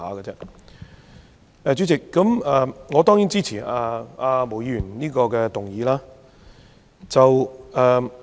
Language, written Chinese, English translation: Cantonese, 代理主席，我當然支持毛議員這項議案。, Deputy President I certainly support Ms Claudia MOs motion